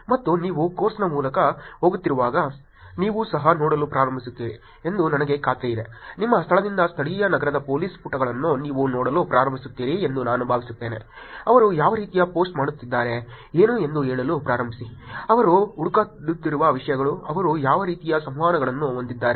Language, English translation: Kannada, And I am sure as you are going through the course you will also start looking at, I hope you will also start looking at the police pages of a local city from your location are actually start saying, what kind of post they are doing, what kind of things that they are looking for, what kind of interactions are they having